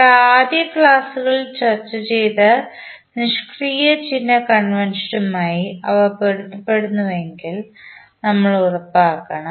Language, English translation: Malayalam, We have to make sure that they are consistent with the passive sign convention which we discussed in our initial lectures